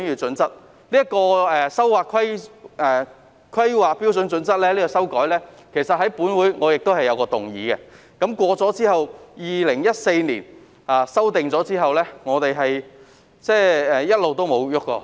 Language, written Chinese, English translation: Cantonese, 再者，關於修改《香港規劃標準與準則》，我在本會曾提出一項議案，議案通過後 ，2014 年曾作出修訂，此後便一直也再沒有修改。, In addition regarding amending the Hong Kong Planning Standards and Guidelines I once proposed a motion in this Council . Amendments were made in 2014 following the passage of the motion . No further amendments have since been made